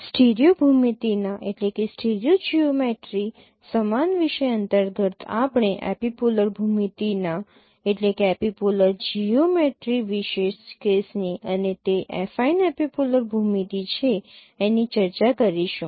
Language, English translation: Gujarati, We will discuss a special case of no epipolar geometry under the same topic of stereo geometry and that is affine epipolar geometry